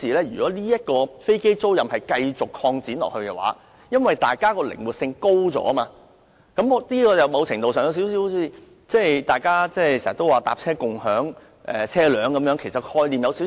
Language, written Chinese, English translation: Cantonese, 如果飛機租賃繼續擴展下去，靈活性增加，某程度上有點類近大家經常說的"乘車共享車輛"概念。, Should aircraft leasing keep expanding with increased flexibility in this direction the business will become something similar to car sharing frequently discussed nowadays